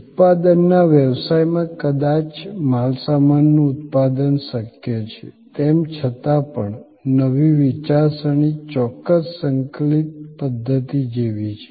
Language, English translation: Gujarati, In a manufacturing business, goods manufacturing it is perhaps possible, even though there also, the new thinking look certain integrated system